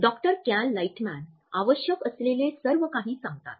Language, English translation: Marathi, With the Doctor Cal Lightman they tell him everything he needs to know